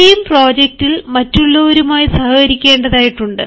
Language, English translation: Malayalam, and in the team project you have to cooperate with others